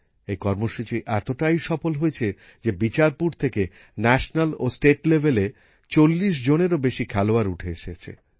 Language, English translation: Bengali, This program has been so successful that more than 40 national and state level players have emerged from Bicharpur